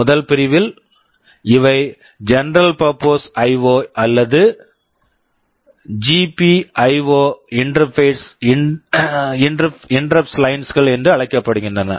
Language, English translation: Tamil, In the first category these are called general purpose IO or GPIO interrupt lines